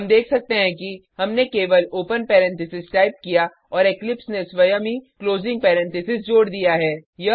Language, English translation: Hindi, For example parentheses, type open parentheses We can see that we only have to type the open parenthesis and eclipse automatically adds the closing parenthesis